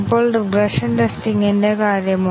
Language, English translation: Malayalam, Now, what about regression testing